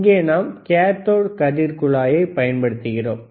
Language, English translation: Tamil, Here we are using the cathode ray tube